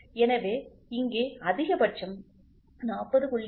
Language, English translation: Tamil, So, here maximum is 40